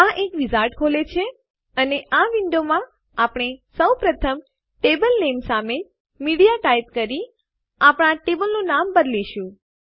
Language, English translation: Gujarati, This opens a wizard and in this window, We will first rename our table by typing in Media against the table name